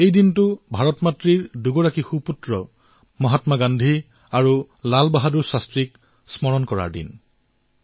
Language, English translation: Assamese, This day, we remember two great sons of Ma Bharati Mahatma Gandhi and Lal Bahadur Shastri